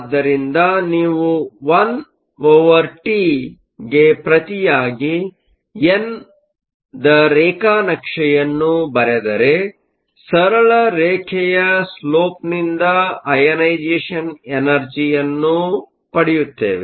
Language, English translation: Kannada, So, if you plot n versus 1 over t, we are going to get a straight line with the slope that was given by the ionization energy